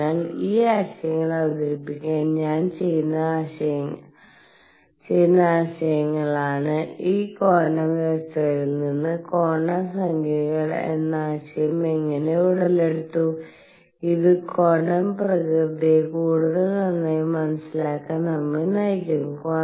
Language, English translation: Malayalam, So, these are ideas I am just doing it to introduce to the ideas, how the idea of quantum numbers arose from these quantum conditions and these are going to lead us to understand the quantum nature better and better